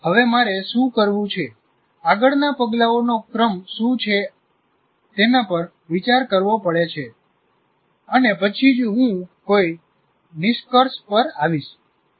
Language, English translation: Gujarati, Now, I have to reflect what exactly is to be done, what are the sequence of steps, and then only come to conclusion